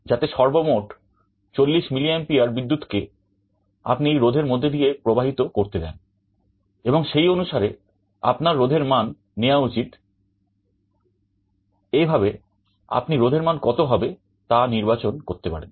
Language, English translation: Bengali, So, in total you should allow 40mA of current to flow through this resistance, accordingly you should choose the value of the resistance